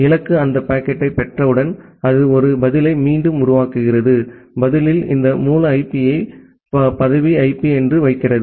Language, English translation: Tamil, Once the destination receives that packet, it generates a reply back and in the reply it puts this source IP as the designation IP